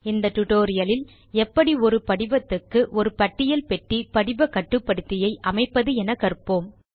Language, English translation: Tamil, So in this tutorial, we will learn how to add a List box form control to our form